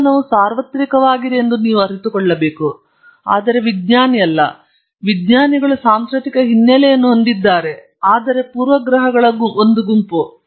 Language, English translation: Kannada, You must realize that science is universal, but the scientist is not; the scientists has a cultural background therefore, a set of prejudices